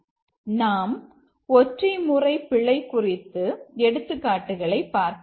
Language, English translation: Tamil, Let's see some example of a single mode bug